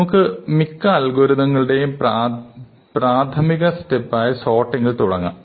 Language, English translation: Malayalam, So, let us start with sorting, which is a very basic step in many algorithms